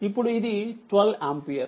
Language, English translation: Telugu, Now, this is 12 ampere